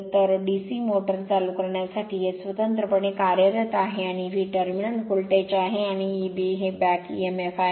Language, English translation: Marathi, So, this is your separately excited your what you call DC motor, and V is the terminal voltage, and your E b is the back emf